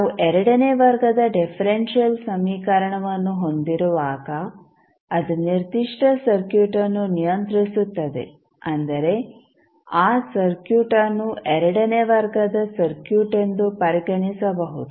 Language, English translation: Kannada, So, when we have second order differential equation which governs that particular circuit that means that circuit can be considered as second order circuit